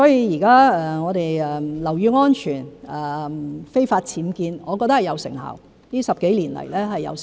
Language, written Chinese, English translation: Cantonese, 現在我們在處理樓宇安全、非法僭建方面，我覺得是有成效，這10多年來是有成效。, This is what we do all the time . In my view we have been effectively dealing with building safety and unauthorized building works over the past decade or so